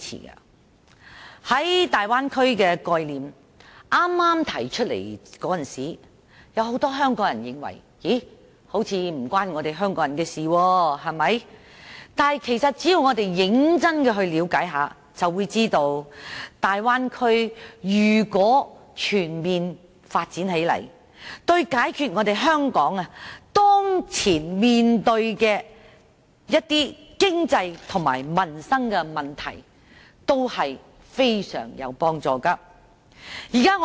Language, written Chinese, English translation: Cantonese, 在剛剛提出大灣區的概念時，很多香港人認為似乎與香港人無關，但只要我們認真了解一下就會知道，如果大灣區全面發展起來，對解決香港當前面對的一些經濟及民生問題均非常有幫助。, When the Bay Area was first introduced as a concept many Hong Kong people thought that it seemed to have nothing to do with them . But as long as we try to understand it seriously we will know that the comprehensive development of the Bay Area will be very helpful to solving some prevailing economic and livelihood problems in Hong Kong